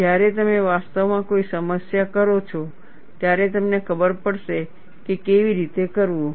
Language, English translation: Gujarati, When you actually do a problem, you will know how to do it